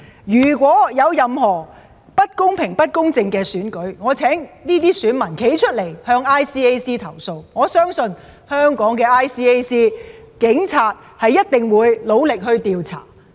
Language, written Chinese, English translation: Cantonese, 如果有任何不公平、不公正的選舉，我請這些選民站出來向 ICAC 投訴，我相信 ICAC 或警方一定會努力調查。, If an election is not conducted in a fair and just manner I urge the electors to speak up and lodge their complaints with ICAC . I believe that ICAC or the Police will endeavour to investigate their cases